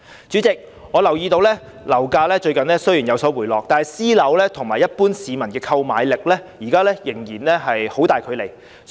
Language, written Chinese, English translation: Cantonese, 主席，我留意到雖然近日樓價有所回落，但私樓價格與一般市民的購買力仍然有很大距離。, President I notice that despite the recent decline in property prices there is still a huge difference between the prices of private housing and the affordability of the general public